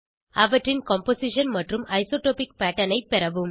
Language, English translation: Tamil, Obtain their Composition and Isotropic pattern